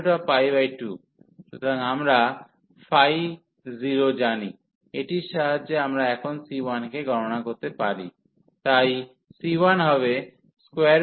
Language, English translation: Bengali, So, we know the phi 0, so by this we can compute now the c 1, so the c 1 will be square root pi by 2